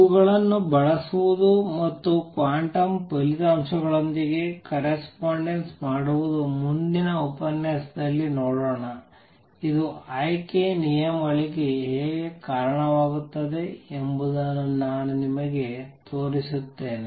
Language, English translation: Kannada, Using these and making correspondence with the quantum results I will show you in next lecture how this leads to selection rules